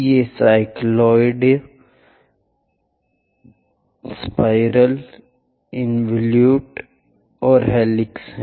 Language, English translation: Hindi, These are cycloids, spirals, involutes and helix